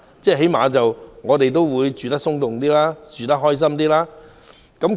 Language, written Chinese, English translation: Cantonese, 這可以讓我們居住得鬆動些、開心些。, This will enable us to live more comfortably and lead a happier life